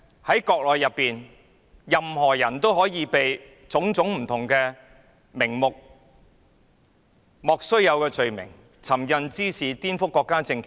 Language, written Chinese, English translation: Cantonese, 在國內，任何人都可以被冠以各種莫須有的罪名，例如尋釁滋事及顛覆國家政權。, In the Mainland anyone could be accused of a trumped - up offence of various kinds such as picking quarrels and provoking trouble and inciting subversion of state power